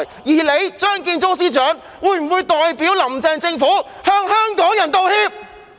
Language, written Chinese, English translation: Cantonese, 而張建宗司長會否代表"林鄭"政府向香港人道歉？, Will Chief Secretary Matthew CHEUNG apologize to Hong Kong people on behalf of the Carrie LAM Government?